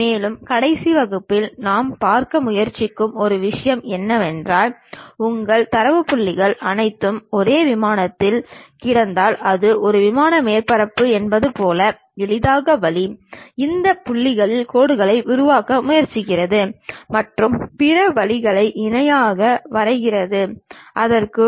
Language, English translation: Tamil, And, one of the thing what we try to look at in the last classes was if it is a plane surface if all your data points lying on one single plane, the easiest way is trying to construct lines across these points and drawing other lines parallelly to that